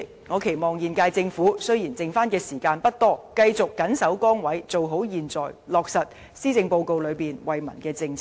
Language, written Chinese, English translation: Cantonese, 主席，雖然現屆政府餘下的任期不長，我仍期望它繼續謹守崗位做好現在，落實施政報告的為民政策。, President although the current Government does not have a long remaining term of office I still hope it can go on performing its duties and carrying out the policies in the Policy Address for the people